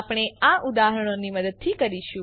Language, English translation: Gujarati, not We will do this with the help of examples